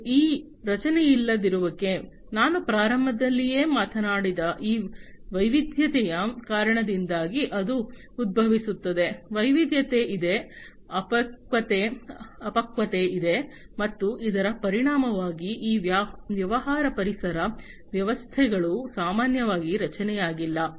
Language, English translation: Kannada, And this unstructuredness, it arises because of this diversity that I talked about at the very beginning, there is diversity, there is immaturity, and as a result of which these business ecosystems, are typically unstructured